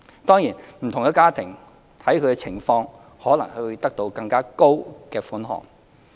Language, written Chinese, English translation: Cantonese, 當然，不同的家庭視乎情況可能會獲得更高的款項。, Certainly individual households may receive a higher amount depending on their situation